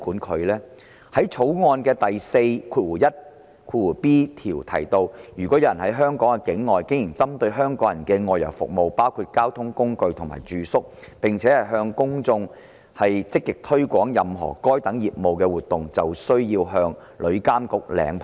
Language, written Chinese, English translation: Cantonese, 《條例草案》第 41b 條提到，如果有人在香港境外經營針對香港人的外遊服務，包括提供交通工具及住宿，並且"向香港的公眾積極推廣任何該等業務活動"，便需要向旅監局領牌。, How can we possibly regulate them? . Clause 41b of the Bill mentions that if a person carries on at a place outside Hong Kong any outbound travel service including the provision of carriage and accommodation targeting people in Hong Kong and actively markets [] to the public of Hong Kong any of those business activities he has to apply for a licence from TIA